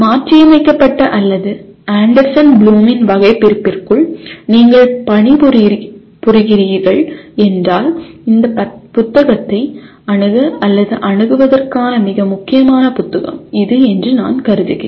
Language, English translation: Tamil, This I consider a very important book that if you are working within the modified or Anderson Bloom’s taxonomy, this is a very very important book to have or access to this book